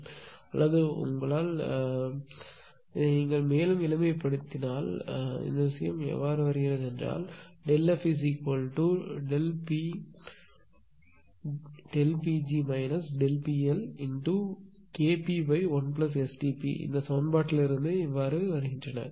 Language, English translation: Tamil, Or you can what you can do is this one you further simplify; that means, this how this thing is coming that delta f is equal to delta P g minus delta P L into K p upon 1 plus S T p how things are coming ah ah from this equation